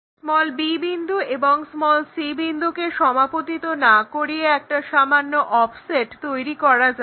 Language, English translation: Bengali, Now, instead of having this b point and c point coinciding with slightly make an offset